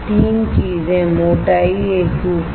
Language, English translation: Hindi, 3 things thickness uniformity